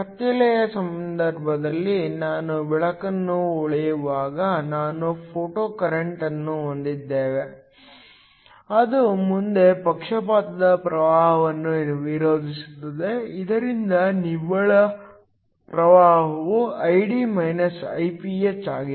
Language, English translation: Kannada, This in the case of dark we found that when we shine light, we have a photocurrent that opposes the forward bias current so that the net current is Id – Iph